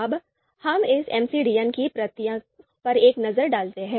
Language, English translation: Hindi, Now, let’s have a look at the process of this MCDM MCDM